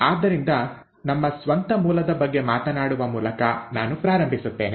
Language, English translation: Kannada, So let me start by talking about our own origin